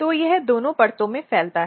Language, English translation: Hindi, So, it expands in both the layers